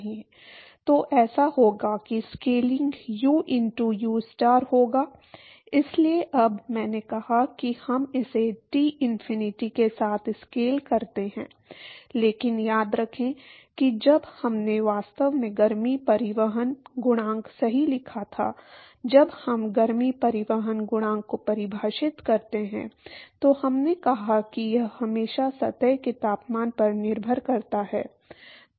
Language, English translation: Hindi, So, that will be so the scaling will be U into ustar, so now, I said that we scale it with Tinfinity, but remember when we actually wrote the heat transport coefficient right, when we define heat transport coefficient we said that its always a function of the temperature of the surface